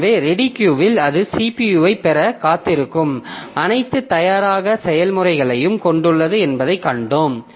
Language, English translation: Tamil, So, we have seen that the ready queue it contains all ready processes waiting for getting the CPU